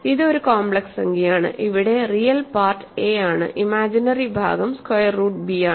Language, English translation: Malayalam, It is a complex number where the real part is a imaginary part is square root b